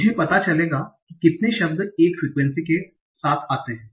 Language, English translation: Hindi, I will find out how many of words occurs once with frequency 1